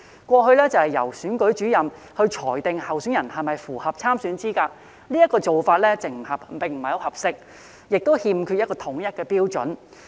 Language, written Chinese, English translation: Cantonese, 過去由選舉主任裁定候選人是否符合參選資格，這個做法並不合適，亦欠缺統一標準。, In the past the Returning Officer would determine whether a candidate was eligible to stand for election which was inappropriate and lacked uniform criteria